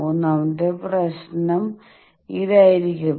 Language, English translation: Malayalam, The third problem will be this